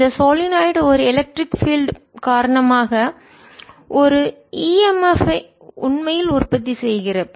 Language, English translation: Tamil, so here is a solenoid and so because of this solenoid electric field, e m f is produce